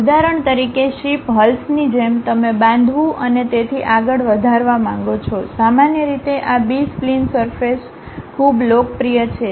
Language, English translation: Gujarati, For example, like ship hulls you want to construct and so on, usually these B spline surfaces are quite popular